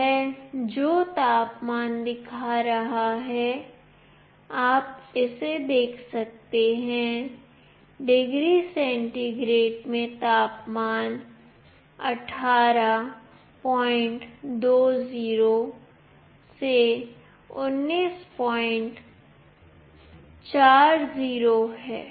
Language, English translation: Hindi, The temperature what it is showing, you can see this, the temperature in degree centigrade is 18